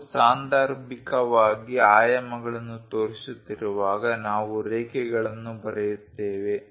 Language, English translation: Kannada, When we are showing dimensions occasionally, we write draw lines